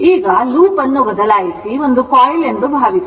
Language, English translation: Kannada, Now, if the loop is replaced suppose by a coil